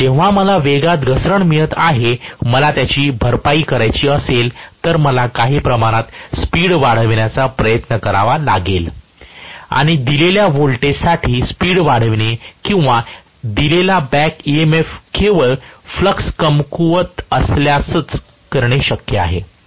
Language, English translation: Marathi, So, when I am having a drop in the speed, if I want to compensate for it, I have to somehow try to increase the speed and increasing the speed for a given voltage or a given back emf can be done only if the flux is weakened because flux multiplied by the speed is going to give me the back emf